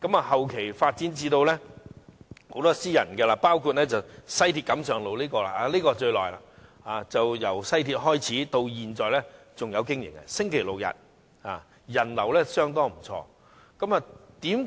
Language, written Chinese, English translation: Cantonese, 後期發展了越來越多私營墟市，包括位於西鐵錦上路的墟市，這是最歷史悠久的，由西鐵通車營運至今，逢周六日營業，人流相當不錯。, Later more and more private bazaars have been held . These include the bazaar at Kam Sheung Road Station of the West Rail Line which has the longest history . It started to operate every weekend since the commissioning of the West Rail Line and the visitor flow is high